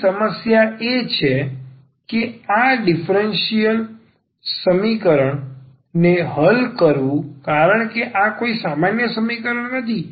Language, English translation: Gujarati, The problem here is that solving this equation because this is not an ordinary equation